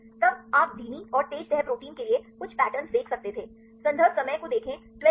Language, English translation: Hindi, Then you could see some patterns for the slow and fast folding proteins